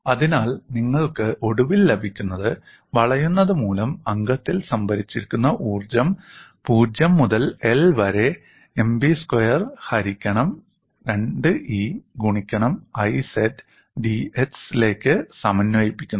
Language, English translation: Malayalam, So, what you finally get is, strain energy stored in the member due to bending is integral 0 to l M b squared 2 E I z into d x